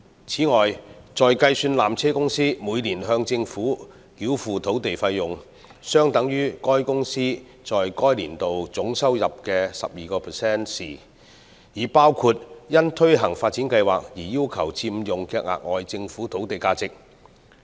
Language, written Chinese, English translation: Cantonese, 此外，在計算纜車公司每年向政府繳付的土地費用，相等於該公司在該年度總收入的 12% 時，已包括因推行發展計劃而要求佔用的額外政府土地價值。, Besides in formulating the annual consideration payable by PTC based on a rate of 12 % of its total revenue generated in the respective year the value for PTCs use of the additional Government land for implementing the upgrading plan has already been reflected